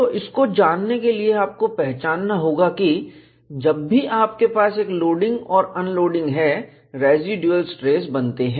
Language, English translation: Hindi, So, in order to appreciate this, you will have to recognize, whenever you have a loading and unloading, residual stresses get formed